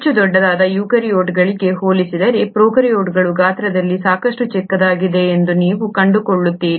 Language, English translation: Kannada, You find that prokaryotes are fairly smaller in size compared to eukaryotes which are much larger